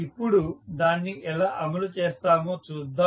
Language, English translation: Telugu, Now, let us see how we will implement it